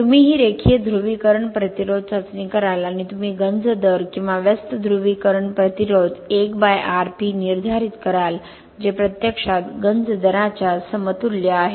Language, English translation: Marathi, You will do this linear polarisation resistance test and you will determine the corrosion rate or inverse polarisation resistance 1 by Rp so which is actually equivalent to a corrosion rate